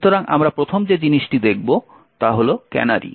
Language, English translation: Bengali, So, the first thing we will look at is that of canaries